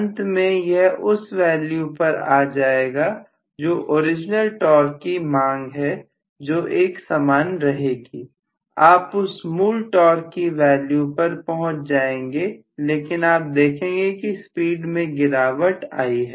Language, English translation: Hindi, Finally it will settle down at a value where the original torque demanded remains the same, you come back to the original torque value but you are going to see that the speed has dropped